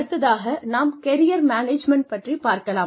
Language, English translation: Tamil, Then, we come to Career Management